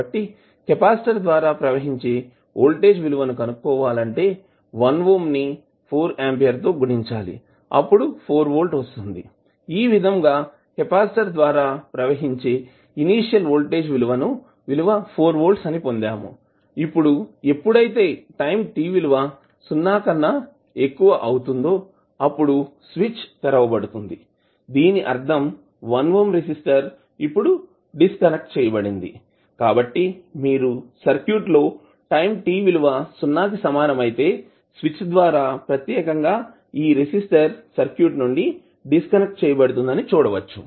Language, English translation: Telugu, So the voltage across the capacitor will be 1 ohm multiply by 4 ampere that is 4 volt, so we get the initial voltage across capacitor is nothing but 4 volt, now when time t greater than 0 the switch is open that means the 1 ohm resistor is now disconnected so when you the switch at time t is equal to 0 this particular resistor will be disconnected from the circuit